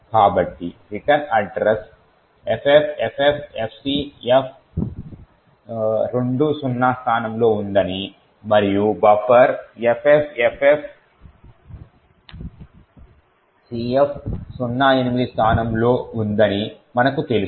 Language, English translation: Telugu, So, we know that the return address is present at the location FFFFCF20 and the buffer is present at this location FFFF CF08